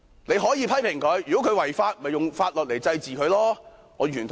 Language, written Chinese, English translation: Cantonese, 你可以批評他，如果他違法，便用法律來懲治他，我完全同意。, We can criticize him and if he has offended the law I absolutely agree that he should be punished by law